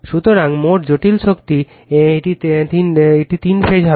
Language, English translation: Bengali, So, total complex power, it will be three phase right